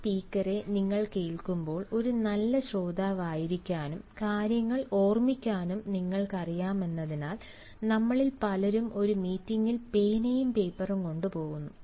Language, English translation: Malayalam, and when you listen to this speaker, because, you know, in order to be a good listener and in order to remember things, many of us go to a meeting or to a talk with some pen and paper